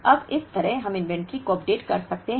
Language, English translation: Hindi, Now, like this we can update the inventories